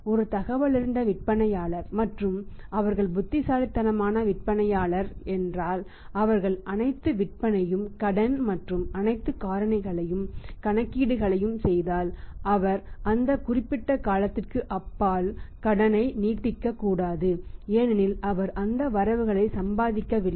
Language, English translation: Tamil, If is a informed seller and his wise seller if they say making all the sales on credit and all the factors and making all the calculations he should not extend the credit beyond that particular period of time because after that he is not earning on those credits is rather is paying up